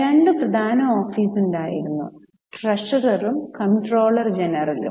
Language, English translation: Malayalam, There were two important offices treasurer and controller general